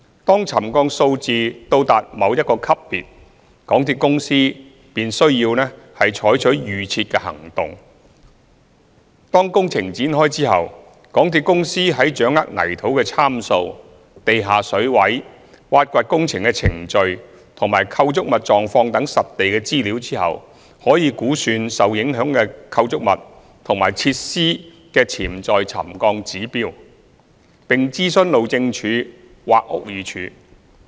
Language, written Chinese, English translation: Cantonese, 當沉降數字到達某一個級別，港鐵公司便需採取預設的行動。當工程展開後，港鐵公司在掌握泥土參數、地下水位、挖掘工程的程序及構築物狀況等實地資料後，可估算受影響的構築物及設施的潛在沉降指標，並諮詢路政署或屋宇署。, Upon commencement of construction when more field information such as soil parameters underground water levels excavation sequences and condition of structures can be gathered MTRCL could estimate the acceptable potential settlement levels of the affected structures and facilities and consult the Highways Department HyD and the Buildings Department BD